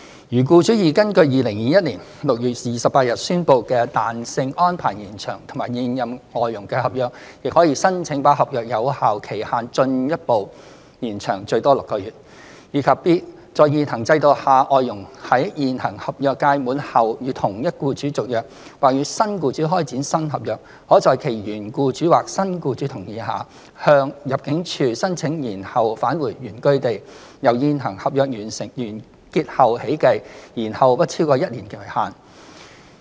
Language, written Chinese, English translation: Cantonese, 如僱主已根據2021年6月28日宣布的彈性安排延長與現任外傭的合約，亦可申請把合約有效期限進一步延長最多6個月；及 b 在現行制度下，外傭在現行合約屆滿後與同一僱主續約，或與新僱主開展新合約，可在其原僱主或新僱主同意下，向入境處申請延後返回原居地，由現行合約完結後起計，延後不超過一年為限。, If the contract with the current FDH has already been extended under the flexibility arrangements announced on 28 June 2021 the employer may also apply for further extension of the validity period of the contract for a maximum period of six months; and b under the prevailing mechanism an FDH on a renewed contract with the same employer or starting a new contract with a new employer upon the expiry of an existing contract may apply to the ImmD for deferring return to the place of origin for not more than one year after the existing contract ends subject to agreement of hisher current employer or new employer